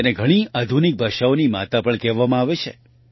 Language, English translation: Gujarati, It is also called the mother of many modern languages